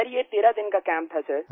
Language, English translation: Hindi, Sir, it was was a 13day camp